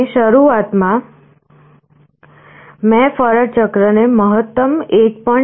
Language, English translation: Gujarati, And initially I set the duty cycle to the maximum 1